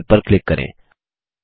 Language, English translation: Hindi, Click Dont Save